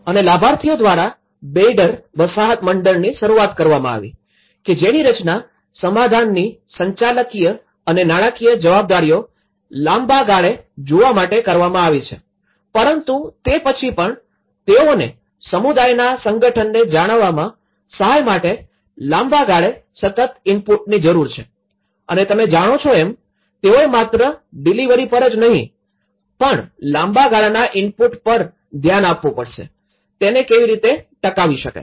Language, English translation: Gujarati, And also a Residents Association Beyder was started by the beneficiaries to see the managerial and financial responsibilities of the settlement, in the long run, aspect but then still they need the sustained input over the long term to help maintain the organization of the community and this has actually you know, why it’s not only a delivery but one has to look at the long term input, how this could be sustained